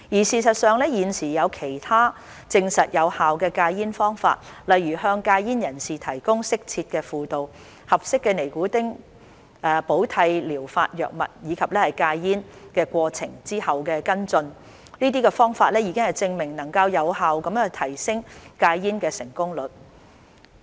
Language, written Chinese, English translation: Cantonese, 事實上，現時已有其他實證有效的戒煙方法，例如，向戒煙人士提供適切的輔導，合適的尼古丁替補療法藥物，以及戒煙過程跟進，這些方法已證明能有效提升戒煙的成功率。, In fact there are other proven methods of quitting smoking such as providing quitters with appropriate counselling appropriate nicotine replacement therapy medications and follow up on the quitting process which have been shown to be effective in increasing the success rate of quitting smoking